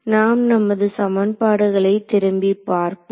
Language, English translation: Tamil, So, let us look back at our equation over here